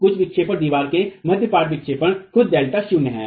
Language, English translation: Hindi, The total deflection, the mid span deflection of the wall itself is delta not